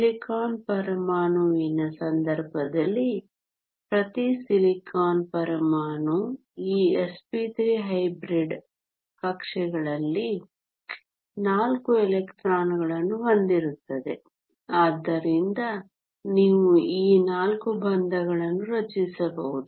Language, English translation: Kannada, In the case the of a silicon atom, each silicon atom has 4 electrons in these s p 3 hybrid orbitals, so you can form 4 bonds